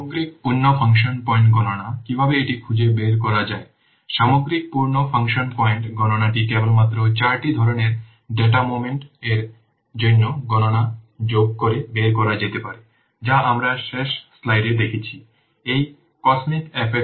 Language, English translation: Bengali, The overall full function point count can be derived by simply adding up the counts for each of the four types of data moment that we have seen in the last slide